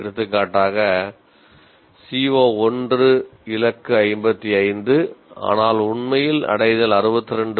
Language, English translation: Tamil, For example, CO1 the target is 55 but actual attainment is 62